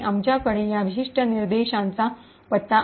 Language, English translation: Marathi, We have the address of this particular instruction